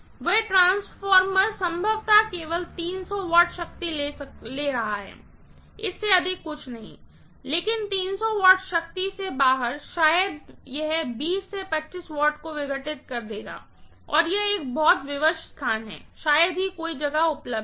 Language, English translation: Hindi, That transformer probably is going to carry only about 300 watts of power, nothing more than that, but out of 300 watts of power, maybe it will be dissipating 20 25 watts and it is a pretty constrained space, there is hardly any space available